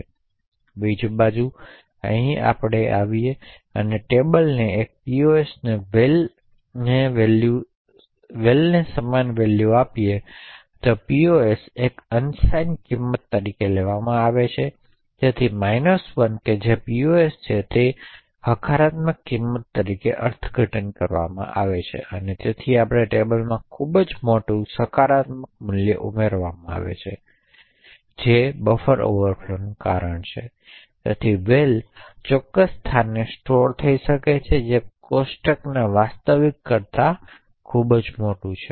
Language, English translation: Gujarati, On the other hand when we come to this statement over here a table of pos equal to val over here pos is taken as an unsigned value so the minus 1 which is pos is interpreted as a positive value and therefore we would have a table added to a very large positive value which is a causing a buffer overflow, so the val could be stored in a particular location which is much further away than the actual size of the table